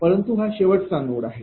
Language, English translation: Marathi, But it is the last node